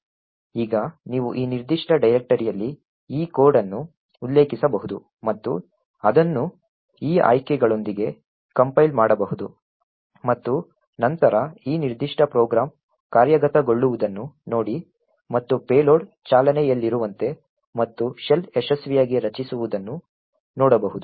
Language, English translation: Kannada, Now you can refer to this code in this particular directory and compile it with these options and then see this particular program executing and have the payload running and the shell getting created successfully